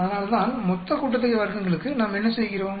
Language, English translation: Tamil, That is why, for total sum of squares, what do we do